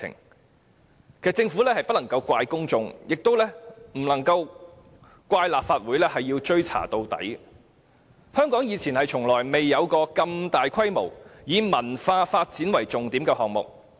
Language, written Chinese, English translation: Cantonese, 其實，政府不能怪責公眾，亦不能怪責立法會誓要追查到底，因為香港從無如此大規模並以文化發展為重點的項目。, In fact the Government should neither blame the public nor the Legislative Council for vowing to have a thorough investigation . After all Hong Kong has never implemented such a mega cultural project